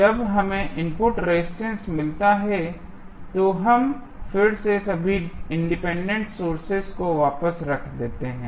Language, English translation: Hindi, And when we get I the input resistance, we again put all the Independent Sources back